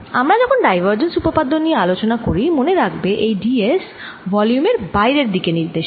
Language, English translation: Bengali, now, when we discuss divergence theorem, remember d s is taken to be pointing out of the volume